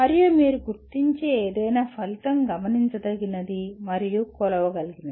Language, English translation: Telugu, And any outcome that you identify should be observable and measureable